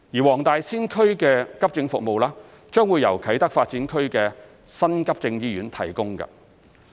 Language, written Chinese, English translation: Cantonese, 黃大仙區的急症服務將會由啟德發展區的新急症醫院提供。, The accident and emergency service in Wong Tai Sin District will be provided by the New Acute Hospital at Kai Tak Development Area